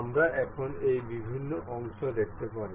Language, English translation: Bengali, We can see this different parts here